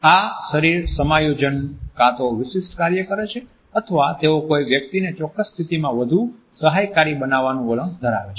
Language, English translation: Gujarati, These body adjustments perform either a specific function or they tend to make a person more comfortable in a particular position